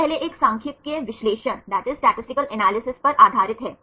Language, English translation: Hindi, Now first one is the based on statistical analysis